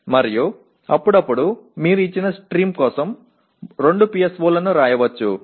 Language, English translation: Telugu, And occasionally you may write 2 PSOs for a given stream